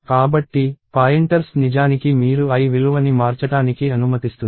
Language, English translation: Telugu, So, pointers are actually allowing you to manipulate the l value